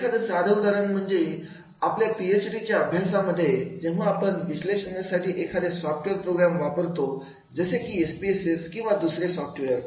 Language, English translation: Marathi, A very simple example is this, that is when we are using the analytic software in the PhD programs, maybe the SPSS or the other software